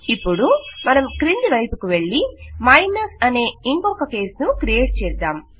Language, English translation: Telugu, Now we need to go down and create another case, which is minus